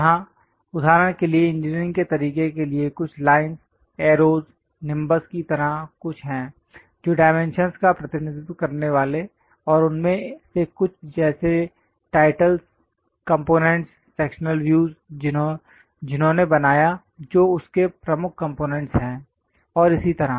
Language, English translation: Hindi, Here for example for engineering way there are certain lines arrows something like nimbus representing dimensions, and some of them like titles, components, the sectional views, who made that, what are the key components of that and so on so things always be mentioned